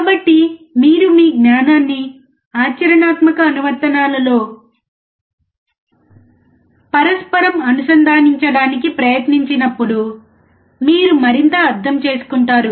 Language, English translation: Telugu, So, when you try to correlate your knowledge with a practical applications, you will understand more